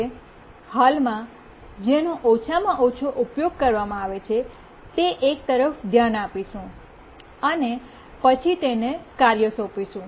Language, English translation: Gujarati, We look at the one which is currently the least utilized and then assign the task to that